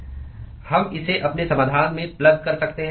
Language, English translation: Hindi, We can plug this into our solution